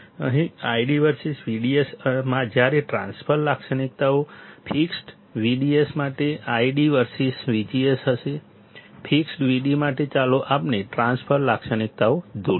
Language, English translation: Gujarati, Here, I D versus V D S while transfer characteristics would be id versus V G S for fixed V D S; for fixed V D So, let us draw the transfer characteristics